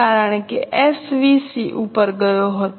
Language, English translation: Gujarati, Because SVC has gone up